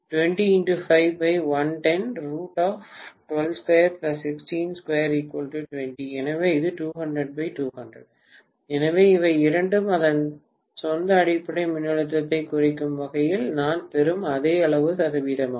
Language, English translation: Tamil, So both of them are essentially the same amount of percentage that I am getting with reference to its own base voltage